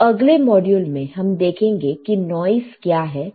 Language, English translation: Hindi, So, in the next module, let us see, what is noise